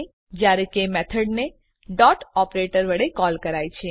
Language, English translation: Gujarati, Whereas the Method is called using the dot operator